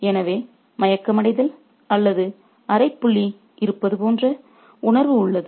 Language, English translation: Tamil, So, there is a sense of being unconscious or semi conscious